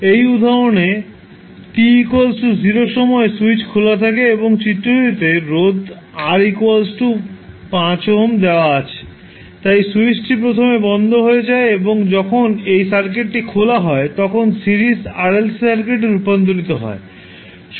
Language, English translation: Bengali, In this example the switch is open at time t is equal to 0 and the resistance R which is given in the figure is 5 ohm, so what happens the switch is initially closed and when it is opened the circuit is converted into Series RLC Circuit